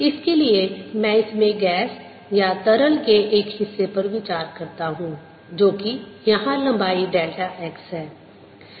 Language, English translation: Hindi, for this i consider a portion of gas or liquid in this which is here of length, delta x